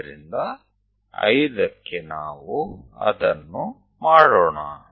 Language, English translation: Kannada, So, let us do that it 5